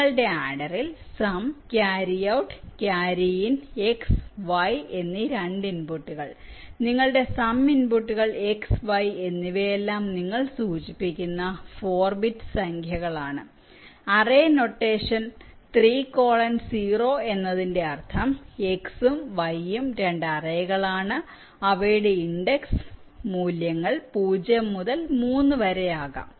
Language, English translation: Malayalam, your sum inputs x and y, or all four bit numbers that you represent here in terms of the array notation, three, colon zero means x and y, or two arrays whose index values can go from zero to three